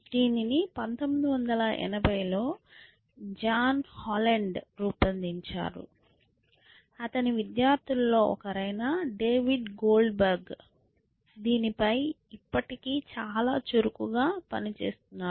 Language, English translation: Telugu, And they were devised around 1980 or so by John Holland, and one of his students call David Goldberg is still very active in this area